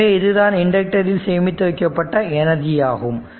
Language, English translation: Tamil, So, this is your what you call that your energy stored in that inductor right